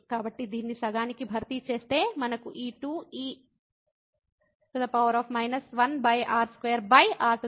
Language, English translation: Telugu, So, replacing this by half we will get this 2 e power minus 1 over r square over 4